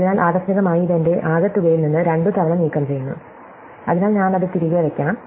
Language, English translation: Malayalam, So, I have accidentally removed it twice from my total, so I have to put it back